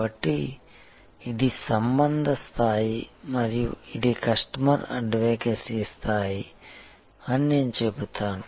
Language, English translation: Telugu, So, from I would say this is the relationship level and this is the customer advocacy level